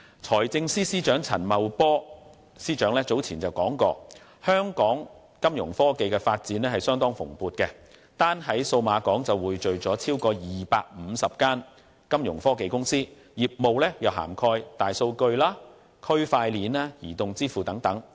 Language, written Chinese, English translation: Cantonese, 財政司司長陳茂波早前提出，香港金融科技發展相當蓬勃，單在數碼港便匯聚了超過250家金融科技公司，業務涵蓋大數據、區塊鏈、移動支付等。, Financial Secretary Paul CHAN has pointed out earlier that the development of Fintech in Hong is quite prosperous . At Cyberport alone there are more than 250 Fintech companies covering such segments as big data blockchain and mobile payments